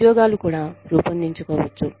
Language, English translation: Telugu, Jobs, can also be banded